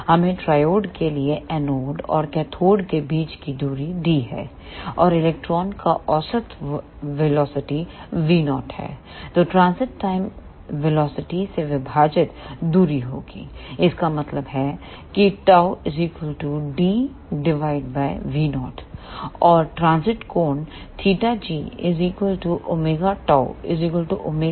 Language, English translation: Hindi, Let us a foot triode the distance between anode and cathode is d, and the average velocity of the electron is small v naught, then the transit time will be distance divided by velocity; that means, tau is equal to d divided by small v naught